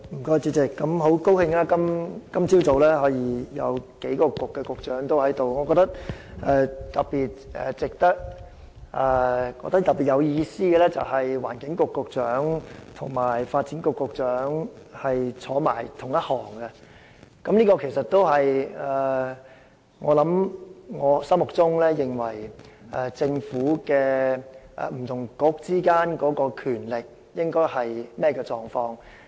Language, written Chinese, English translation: Cantonese, 很高興今早有數位局長同時在席，尤其有意思的是環境局局長和發展局局長並列而坐，這也符合我心中所認為，政府不同政策局之間應有的權力狀況。, I am very glad to see that there are several Bureau Directors attending the meeting this morning and it is particularly meaningful that the Secretary for the Environment is sitting side by side with the Secretary for Development . This is also what I consider a suitable distribution of power among different Government Policy Bureaux